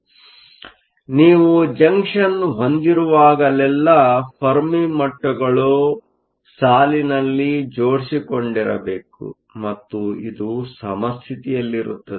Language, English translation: Kannada, So, whenever you have a Junction, the Fermi levels must line up and this is at equilibrium